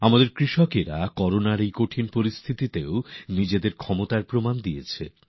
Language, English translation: Bengali, Even during these trying times of Corona, our farmers have proven their mettle